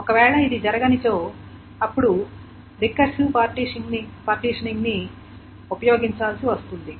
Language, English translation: Telugu, If this however doesn't happen then the strategy called recursive partitioning needs to be employed